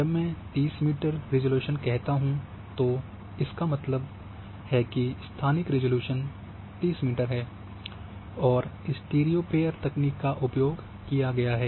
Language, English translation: Hindi, When I say 30 meter resolution I mean spatial resolution 30 meter is a spatial resolution and the technique has been used is stereo pair